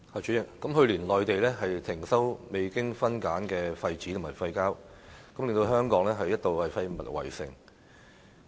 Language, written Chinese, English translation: Cantonese, 主席，內地去年停收未經分類的廢紙和廢膠，令香港一度出現"廢物圍城"。, President the Mainland called a halt to the import of unsorted waste papers and waste plastics last year thus causing waste besiegement in Hong Kong at one point